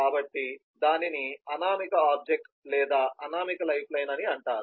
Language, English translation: Telugu, so this is called anonymous object or anonymous lifeline